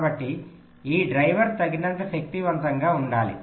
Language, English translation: Telugu, so this driver has to be powerful enough